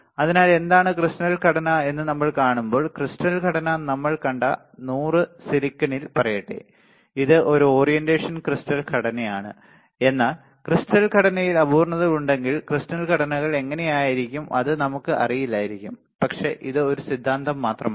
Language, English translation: Malayalam, So, what does it mean that when we have seen what is crystalline structure, the crystalline structure let us say in silicon we have seen 100, it is a orientation right crystalline structure, but how the crystalline structures are if there is a imperfections in crystalline structure then it may cause it may we do not know, but this is just a theory right